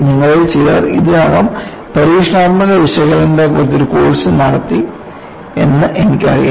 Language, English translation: Malayalam, I know in this class, some of you have already done a course on experimental analysis